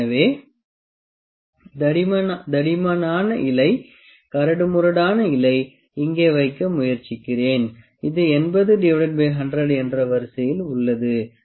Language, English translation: Tamil, So, let me try to put the thickest leaf, the coarsest leaf here, which is of the order of 80 by 100